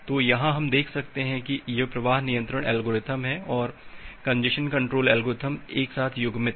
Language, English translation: Hindi, So, here we can see that this is the flow control algorithm and the congestion control algorithms are coupled together